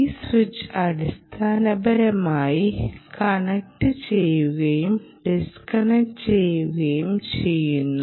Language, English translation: Malayalam, this switch essentially connects and disconnects